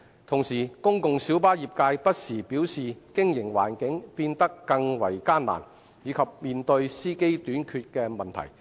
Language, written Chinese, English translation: Cantonese, 同時，公共小巴業界不時表示經營環境變得更為艱難，以及面對司機短缺的問題。, At the same time the PLB trade had indicated from time to time that the operating environment was becoming more difficult and they faced the problem of shortage of drivers